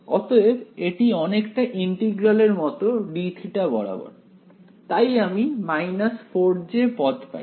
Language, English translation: Bengali, So, it is more like an integral over d theta, so I get a minus 4 j